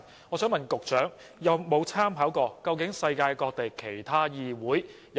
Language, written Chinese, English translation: Cantonese, 我想問局長，有否參考過世界各地其他議會的做法？, May I ask the Secretary whether he has made reference to the practices of the other legislatures across the world?